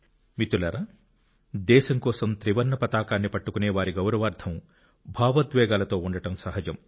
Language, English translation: Telugu, Friends, it is but natural to get emotional in honour of the one who bears the Tricolour in honour of the country